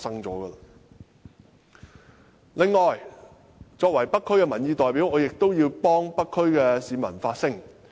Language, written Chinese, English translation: Cantonese, 此外，作為北區的民意代表，我亦要代北區的市民發聲。, Besides as an elected representative of North District representatives I must also speak for them